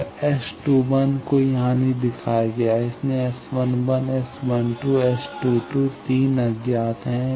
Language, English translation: Hindi, So, S 21 is not shown here, so S 11, S 12, SS 22 3 unknowns